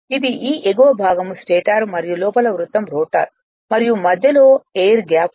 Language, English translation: Telugu, This, this upper part is a stator and inside circle is rotor and between is that air gap is there